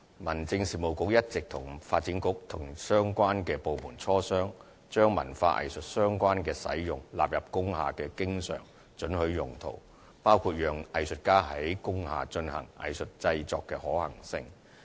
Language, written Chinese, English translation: Cantonese, 民政事務局一直與發展局及各相關部門磋商，將與文化藝術相關的用途納入為工廈的經常准許用途，包括讓藝術家在工廈進行藝術製作的可行性。, The Home Affairs Bureau has been discussing with the Development Bureau and other relevant government departments the inclusion of uses relating to culture and arts as the uses always permitted in industrial buildings including the feasibility of allowing artists to engage in artistic productions inside industrial buildings